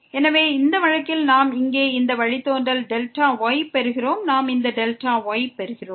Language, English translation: Tamil, So, in this case we are getting delta this derivative here, we are getting this delta